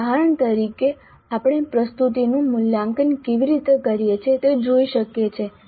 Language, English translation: Gujarati, As an example, we can look at how we evaluate the presentation